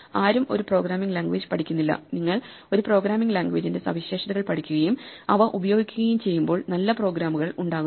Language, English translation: Malayalam, It is a mistake to sit and learn a programming language; nobody learns a programming language, you learn features of a programming language and put them to use as you come up with good programs